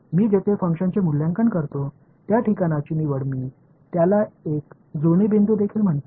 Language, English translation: Marathi, The choice of the place where I evaluate the function I also call it a matching point